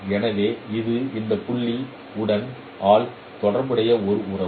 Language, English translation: Tamil, So this is a relationship that x prime is related with this point x by h x